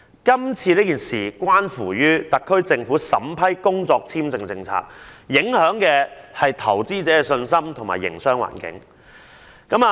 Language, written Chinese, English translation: Cantonese, 今次事件關乎特區政府審批工作簽證的政策，影響投資者的信心和營商環境。, The incident has a bearing on the policy of the SAR Government relating to the vetting and approving employment visa which will affect investors confidence and the business environment